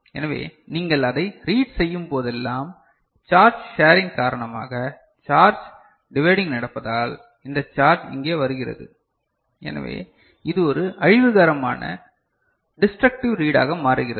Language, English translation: Tamil, So, whenever you read it, because of the charge sharing, charge dividing that is happening this charge coming over here; so, it becomes a destructive reading